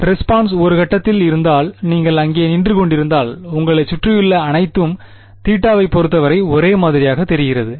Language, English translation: Tamil, If the impulse is at one point and you are standing over there everything around you looks the same with respect to theta right